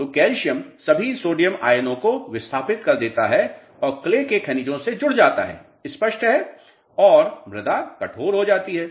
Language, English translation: Hindi, So, calcium gets attached to the clay minerals displacing all sodium ions, clear and soil becomes stiff